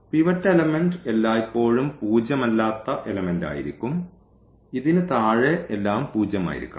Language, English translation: Malayalam, This is called the pivot element and pivot element is always non zero element and below this everything should be zero